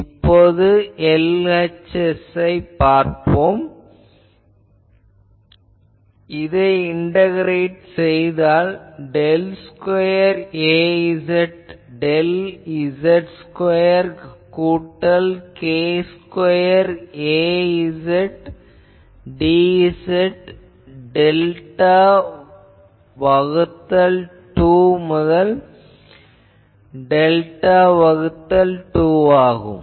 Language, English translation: Tamil, So, LHS is I can say that if I integrate it, then del square Az del z square plus k square Az sorry plus k Az dz minus delta by 2 to delta by 2